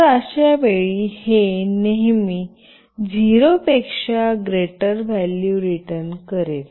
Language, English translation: Marathi, So, in that case, it will always return a value greater than 0